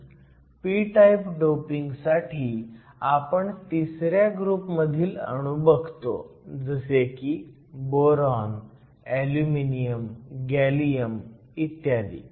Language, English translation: Marathi, So, for p type doping, we look at group 3 elements, examples of such elements include boron, aluminum, gallium and so on